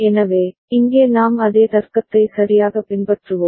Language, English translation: Tamil, So, here we would be following the same logic right